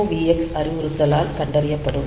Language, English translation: Tamil, So, MOVX instruction is complete